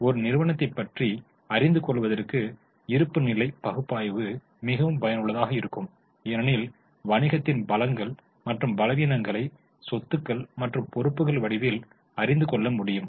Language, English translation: Tamil, Now, analysis of balance sheet is very much useful because we come to know the strengths and the weaknesses of the business in the form of assets and liabilities